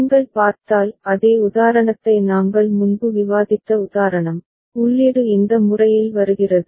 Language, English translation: Tamil, And if you look at the that same example the example that we had discussed before, the input is coming in this manner ok